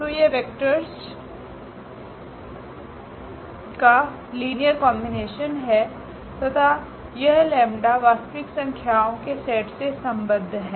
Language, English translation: Hindi, So, this the linear combination of the vectors and this lambda belongs to the set of real number